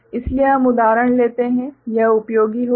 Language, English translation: Hindi, So, we take example then it will be useful right